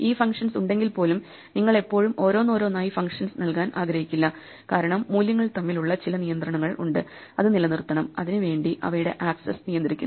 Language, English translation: Malayalam, Even if you have these functions you do not always want to give these functions individually, because there might be some constraints between the values which have to be preserved and you can preserve those by controlling access to them